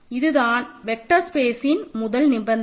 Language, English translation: Tamil, So, this is a quick review of what a vector space is